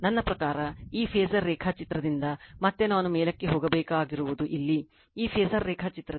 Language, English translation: Kannada, I mean from this phasor diagram, again I have to go on top right just hold on here, here from this phasor diagram